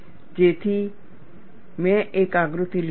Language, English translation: Gujarati, So, I have taken one diagram